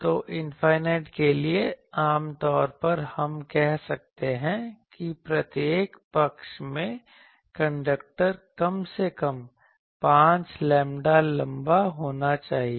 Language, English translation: Hindi, So, for infinite generally we say that in each side, the conductor should be at least 5 lambda long